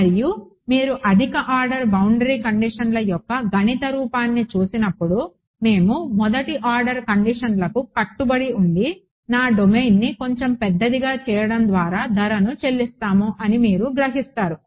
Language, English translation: Telugu, And when you look at the mathematical form of higher order boundary conditions you will realize let us stick to 1st order boundary conditions and pay the price by making my domain a little bit larger ok